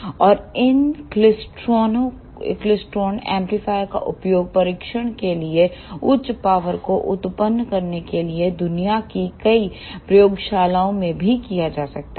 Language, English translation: Hindi, And these klystron amplifiers are also used in many labs in the world to generate high powers for testing